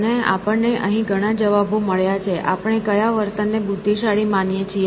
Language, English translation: Gujarati, And, we got several responses here; what we think is intelligent behavior